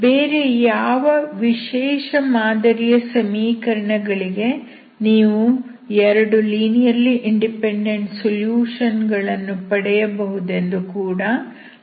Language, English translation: Kannada, now we will see other kind of equations where you can get two linearly independent solutions